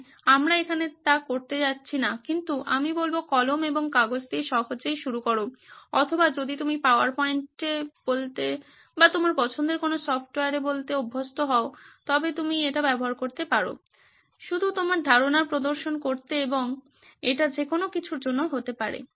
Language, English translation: Bengali, So we are not going to do that here but I would say start simple with a pen and paper or if you are used to say on a PowerPoint or some any of your favorite software, you can use that just to represent your idea and it could be for anything